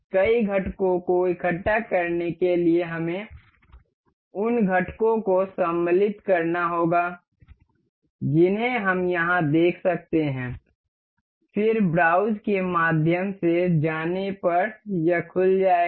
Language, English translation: Hindi, To assemble multiple components we have to insert the components we can see here, then going through browse it will open